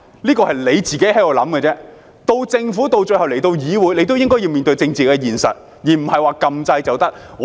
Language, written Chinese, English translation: Cantonese, 這是政府自行想象的，政府最後來到議會也應該面對政治現實，而不是按鈕表決便可以。, Despite this being its own imagination the Government should face the political reality when it eventually comes to this Council . It is not simply a matter of pushing a button to vote